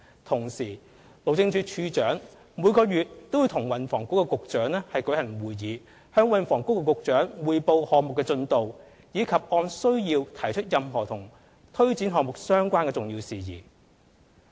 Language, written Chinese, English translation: Cantonese, 同時，路政署署長每月與運輸及房屋局局長舉行會議，向運輸及房屋局局長匯報項目的進度，以及按需要提出任何與推展項目相關的重要事宜。, The Director of Highways also holds meetings with the Secretary for Transport and Housing on a monthly basis submits reports to the Secretary on the progress of the project and raises any important matters relating to the project as required